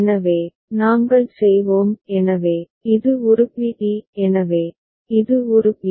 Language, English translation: Tamil, So, that we shall do; so, this is a b d; so, this was b a b